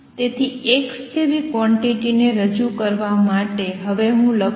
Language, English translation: Gujarati, So, a quantity like x would be represented by let me now write it